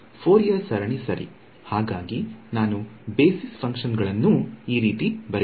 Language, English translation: Kannada, Fourier series right, so if I have some I can write down my basis function as like this